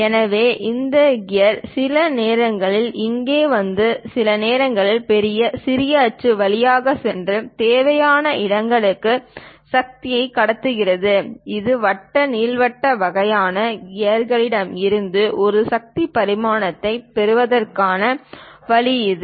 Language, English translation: Tamil, So, this planetary gear sometimes comes here, sometimes goes up through major, minor axis and transmit the power to the required locations; this is the way we get a power transmission from this circular, elliptical kind of gears